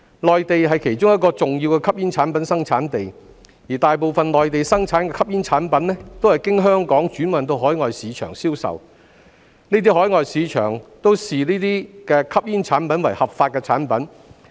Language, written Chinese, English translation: Cantonese, 內地是其中一個重要的吸煙產品生產地，而大部分內地生產的吸煙產品都是經香港轉運到海外市場銷售，這些海外市場均視該等吸煙產品為合法產品。, Smoking products were among the re - exported goods . The Mainland is a one of the key places for the manufacturing of smoking products . Most of these smoking products are exported to overseas markets where they are considered legal for sale through Hong Kong